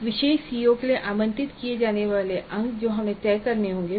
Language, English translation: Hindi, So marks to be allocated to for COO for a particular COO that we must decide